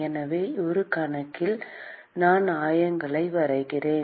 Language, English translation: Tamil, So, in a moment, I will draw the coordinates